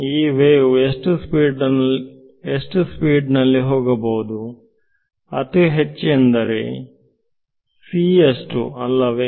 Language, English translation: Kannada, What is the speed at which this wave can go as fast as possible c right